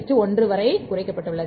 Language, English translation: Tamil, 33 is to 1 that will not change